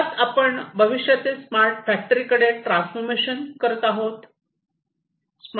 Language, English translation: Marathi, So, essentially we are transforming into the future, where we are going to have smart factories